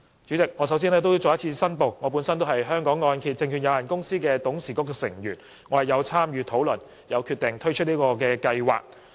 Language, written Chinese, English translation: Cantonese, 主席，我首先要再次申報，我是香港按揭證券有限公司董事局成員，有份參與討論和決定推出這項計劃。, President I would like to declare again that I am a member of the Board of Directors of the Hong Kong Mortgage Corporation Limited and have participated in the discussions of this scheme and the decision making process